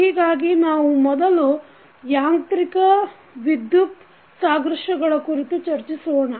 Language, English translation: Kannada, So, first we will discuss about the mechanical, electrical analogies